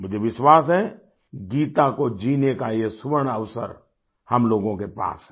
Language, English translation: Hindi, I do believe we possess this golden opportunity to embody, live the Gita